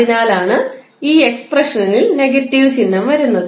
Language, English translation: Malayalam, That is why the negative sign is coming in this expression